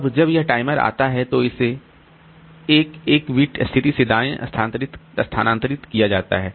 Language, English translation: Hindi, Now, when this timer comes, then it is shifted right by 1 bit position